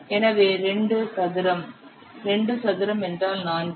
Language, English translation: Tamil, 12 by 6 is 2, so 2 square, 2 square means 4